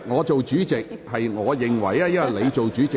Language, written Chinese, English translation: Cantonese, 主席，我認為他是插言。, President I think it was an interruption by him